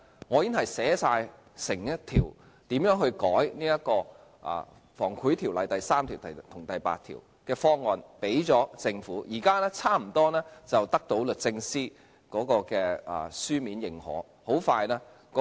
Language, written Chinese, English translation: Cantonese, 我已經提交一個修改《防止賄賂條例》第3條及第8條的方案給政府，現時差不多得到律政司的書面認可。, I have submitted to the Government a proposal for amending sections 3 and 8 of the Prevention of Bribery Ordinance and I am about to receive the written approval from the Department of Justice